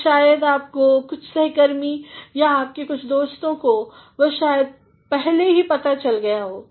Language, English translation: Hindi, And, maybe some of your colleagues or some of your friends might have already come across that